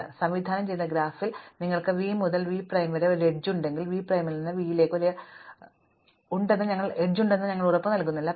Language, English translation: Malayalam, So, if we have an edge from v to v prime in a directed graph, we do not guarantee that there is an edge from v prime to v